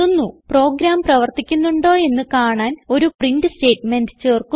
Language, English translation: Malayalam, Now Let us add a print statement to see the program in action